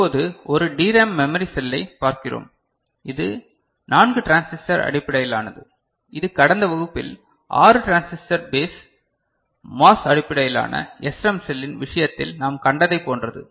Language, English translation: Tamil, Now, we look at one DRAM memory cell, which is 4 transistor based; it is somewhat similar to what we had seen in case of 6 transistor base MOS based SRAM cell in the last class